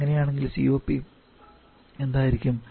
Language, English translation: Malayalam, In that case it is; what will be the COP